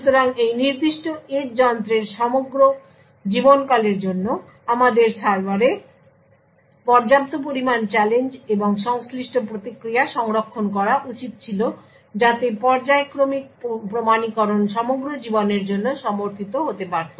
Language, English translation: Bengali, So therefore, for the entire lifetime of this particular edge device we should have sufficient amount of challenge and corresponding responses stored in the server so that the periodic authentication is supported for the entire life